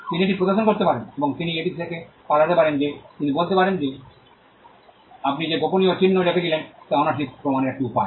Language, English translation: Bengali, He could show that, and he could get away with it he could say that, is one way to prove ownership you had given put in a secret mark